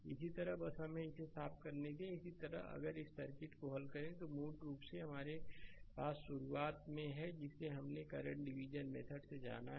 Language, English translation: Hindi, Similarly, you just let us clean it; similarly if you solve this circuit it is a basically we have at the beginning we have studied know current division method right